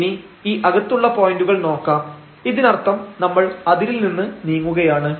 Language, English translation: Malayalam, So, this interior points, so that means, leaving the boundary now